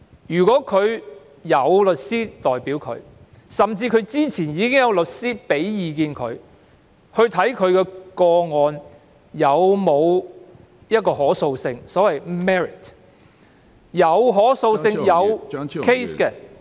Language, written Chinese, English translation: Cantonese, 如果他們有律師代表，甚至之前已徵詢律師意見，檢視其個案是否具可訴性，即所謂 merit， 如具可訴性及有 case 的話......, Had they been represented by a lawyer or if they had consulted a lawyer in advance on the justiciability namely the merits of their application so as to understand if they have a case